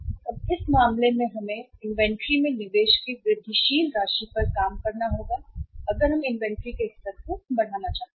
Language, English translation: Hindi, Now in this case, we will have to work out the incremental amount of investment to be made in inventory if we want to increase the level of inventory